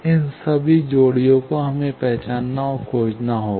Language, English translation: Hindi, All these pairs, we will have to identify and find